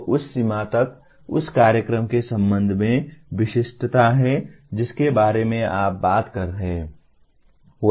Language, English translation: Hindi, So to that extent, there is specificity with respect to the program that you are talking about